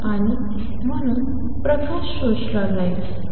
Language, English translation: Marathi, And therefore, light will get absorbed